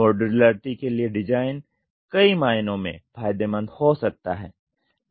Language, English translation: Hindi, Design for modularity, can be advantageous in many ways